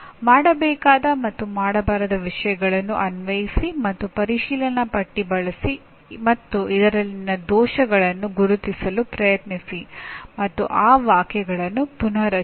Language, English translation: Kannada, Please apply the do’s and don’ts and use the checklist and try to identify the errors in this and reword the same